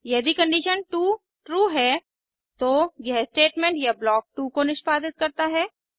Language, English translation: Hindi, If condition 2 is true, it executes statement or block 2